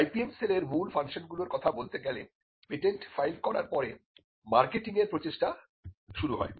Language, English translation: Bengali, Now continuing with the core functions of IPM cell, after filing a patent marketing effort are initiated